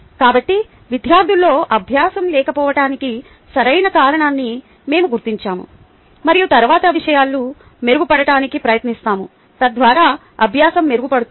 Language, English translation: Telugu, ok, so we identify the correct cause of the lack of learning in students and then we try to improve matters so that the learning improves